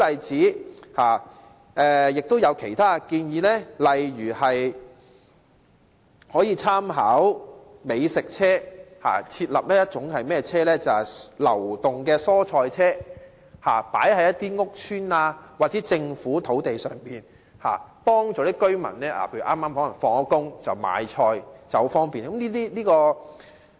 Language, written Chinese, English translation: Cantonese, 此外，亦有其他建議，例如可以參考美食車，設立流動蔬菜車，於屋邨或政府土地上擺放，方便市民在下班經過時買菜。, There are also other proposals such as those drawing reference from food trucks and providing mobile vegetable trucks in housing estates or on Government land so that members of the public can buy vegetables conveniently when they are passing by after work